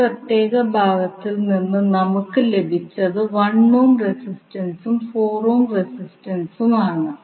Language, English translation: Malayalam, You will left only with the resistances that is 1 ohm resistance and 4 ohm resistance